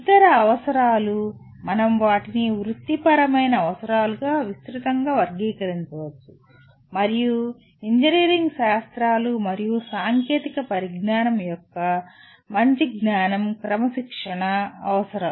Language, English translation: Telugu, The other requirements we may broadly classify them as professional requirements and whereas the sound knowledge of engineering sciences and technology is the disciplinary requirements